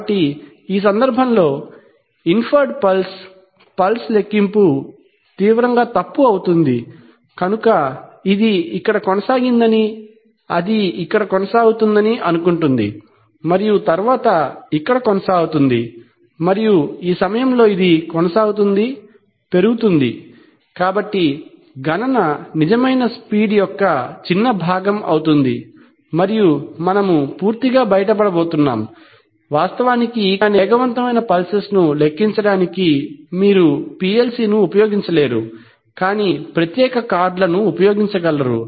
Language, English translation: Telugu, So the inferred pulse is going to be in this case, the pulse count will be severely wrong, so it will assume that it has continued here and then it is continuing here and then it is continuing here and then it is continuing at this point is rising, so the count will be a small fraction of the real speed and we are going to be totally out, it is actually for this reason that for counting fast pulses, you cannot use the PLC itself but rather use a special card